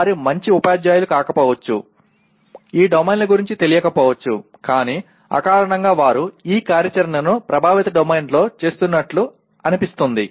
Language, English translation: Telugu, They may not be a good teacher, may or may not be aware of these domains and so on but intuitively they seem to be performing this activity in the affective domain